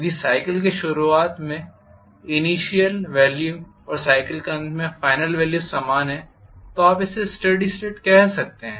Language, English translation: Hindi, If the initial value at the beginning of the cycle and the final value at the end of the cycle are the same